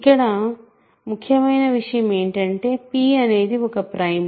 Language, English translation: Telugu, Here the important fact is that p is a prime